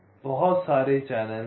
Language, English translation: Hindi, so there are so many channels